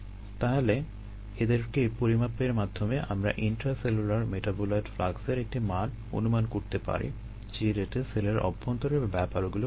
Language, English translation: Bengali, so with by measuring those can, we can get an estimate of the intracellular metabolite flux, right, the rates things are going on inside the cell